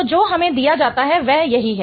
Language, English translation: Hindi, So, the one that is given to us is this one